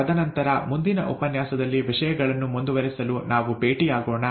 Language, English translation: Kannada, And then, let us meet in the next lecture to take things forward